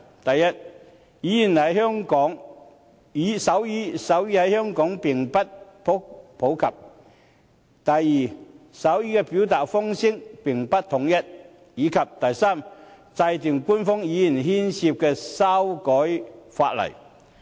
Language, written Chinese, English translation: Cantonese, 第一，手語在香港並不普及；第二，手語的表達方式並不統一；及第三，涉及修改法例。, First sign language is not popular in Hong Kong; second there lacks a common form of sign language; and third legislative changes are involved